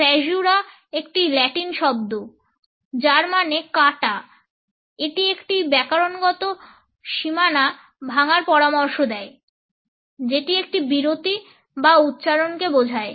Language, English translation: Bengali, Caesura is a Latin word for cutting it suggests the break a grammatical boundary a pause which refers to a point of articulation